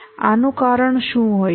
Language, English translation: Gujarati, What can be the cause for this